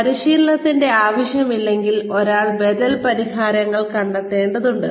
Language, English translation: Malayalam, If there is no training need, then one needs to find alternative solutions